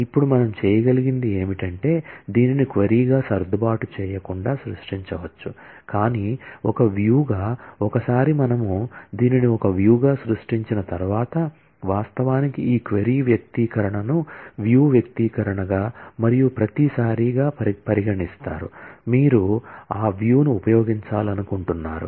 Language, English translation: Telugu, Now, what we can do is, we can create this not adjust as a query, but as a view one, once we create this as a view, it actually this query expression is treated as what is known as a view expression and every time you want to use that view